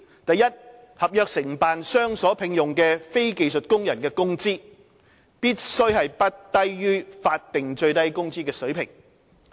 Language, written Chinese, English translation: Cantonese, 第一，合約承辦商所聘用的非技術工人的工資，必須不低於法定最低工資水平。, First the wages of non - skilled workers employed by government service contractors must not be lower than the statutory minimum wage